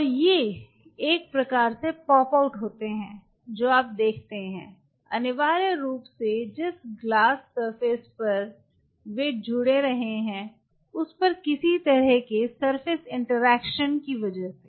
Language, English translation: Hindi, And these ones kind of pops out what you see essentially this surface by some kind of a surface interaction on the glass surface they attach, but before you can put them on the substrate